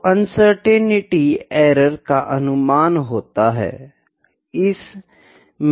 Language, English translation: Hindi, So, uncertainty it is the estimate of the error